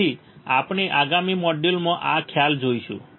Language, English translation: Gujarati, So, we will see this concept in the next module